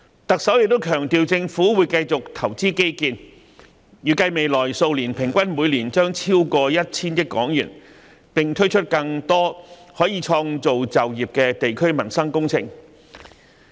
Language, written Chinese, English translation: Cantonese, 行政長官亦強調政府會繼續投資基建，預計未來數年將每年平均投資超過 1,000 億港元，並推出更多可創造就業的地區民生工程。, The Chief Executive has also emphasized that the Government will continue to invest in infrastructure with an estimated annual expenditure of over 100 billion on average in the next few years and will launch more district - based livelihood projects which can create jobs